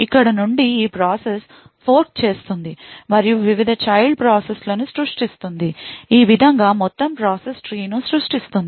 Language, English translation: Telugu, From here this process would then fork various child processes and thus in this way creates an entire process tree